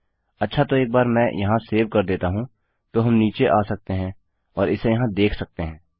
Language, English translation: Hindi, Okay so once I save here, we can come down and see this here